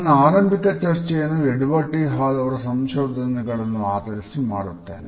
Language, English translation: Kannada, I would base my initial discussions over this concept on the findings of Edward T Hall